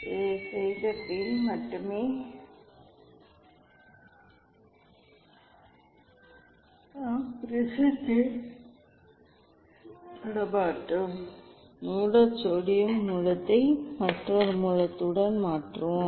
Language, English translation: Tamil, only this one after doing this one we will not touch the prism at all, we will just replace the source sodium source with another source